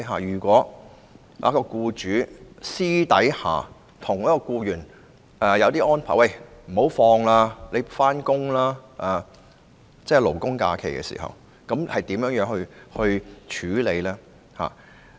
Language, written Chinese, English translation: Cantonese, 如果僱主私下替僱員作出安排，要求僱員在勞工假期上班，該如何處理？, If an employer privately arranges for an employee to work on a labour holiday what should be done?